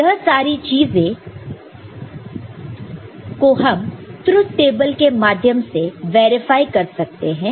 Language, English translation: Hindi, This is also we can all of these can be verified from the truth table